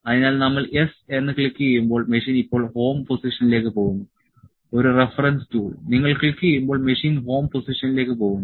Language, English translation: Malayalam, So, a when it then when we can click yes, the machine is going to home position now; is a reference tool is when you click, machine is going to the home position